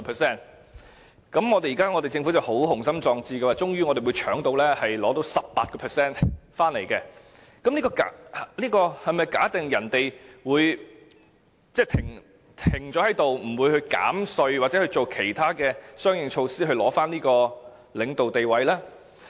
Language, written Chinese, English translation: Cantonese, 政府相當雄心壯志，認為最終可搶走 18% 市場份額，這是否假定別人會停下來，不會減稅或採取相應措施，以重奪領導地位呢？, But is this forecast made on the premise that its competitors would not hit back making retaliating tax cut or other measures to regain their market leadership?